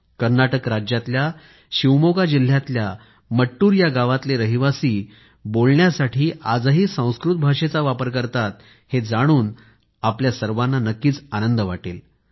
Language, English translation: Marathi, You will be pleased to know that even today, residents of village Mattur in Shivamoga district of Karnataka use Sanskrit as their lingua franca